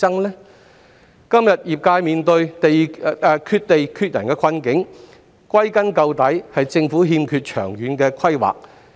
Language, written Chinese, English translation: Cantonese, 業界今天面對缺地缺人的困境，歸根結底是因為政府欠缺長遠規劃。, The ultimate reason for the present shortage of land and manpower in the logistic industry is the Governments absence of long - term planning